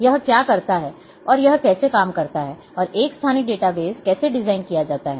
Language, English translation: Hindi, How what it does and a how it works and how to design a spatial data base